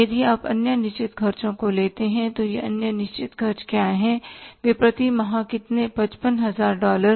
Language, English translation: Hindi, If you take the other fixed expenses then what are these other fixed expenses